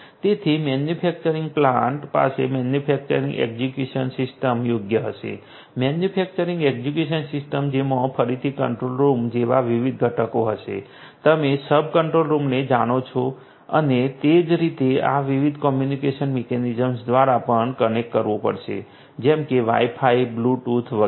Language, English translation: Gujarati, So, the manufacturing plant will have the manufacturing execution system right, manufacturing execution system which will again have different different components like controlled rooms, you know sub controlled rooms and so on which will also have to be connected through this different communication mechanisms like may be Wi Fi, Bluetooth, etcetera